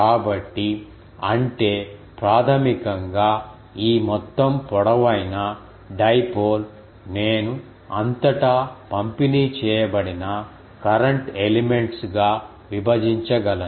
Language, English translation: Telugu, So; that means, basically these whole long dipole that I can break as a break into current elements distributed throughout it is length